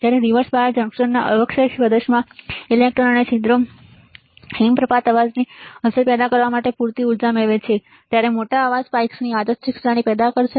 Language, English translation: Gujarati, When electrons and holes in the depletion region of reversed biased junction acquire enough energy to cause avalanche effect a random series of large noise spikes will be generated